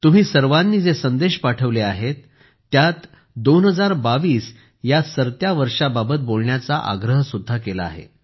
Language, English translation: Marathi, In the messages sent by you, you have also urged to speak about the departing 2022